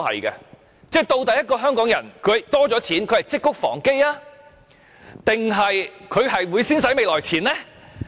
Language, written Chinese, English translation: Cantonese, 究竟香港人的金錢增加了，會積穀防飢還是會先花未來錢呢？, When Hong Kong people have more money will they keep it for the bad times in the future or will they spend it with no regard to the future?